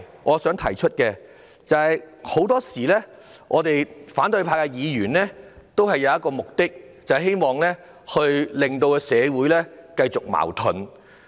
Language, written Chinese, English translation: Cantonese, 我想提出的另一個問題是，反對派的議員很多時候有意令社會矛盾繼續下去。, Another issue I wish to raise is that most of the times Members of the opposition camp purposefully sustain conflicts in society